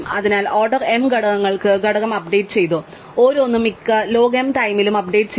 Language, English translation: Malayalam, So, order m elements have had the component updated and each has been updated at most log m times, right